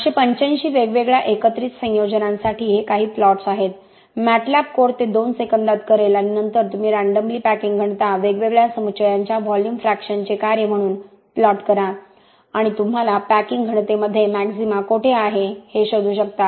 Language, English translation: Marathi, This is some plots for 885 different aggregate combinations, MATLAB code will do it in 2 seconds, 885 different aggregate combinations and you plot packing density, the random packing density as a function of volume fraction of different aggregates and you can find out where is a maxima in the packing density for different combinations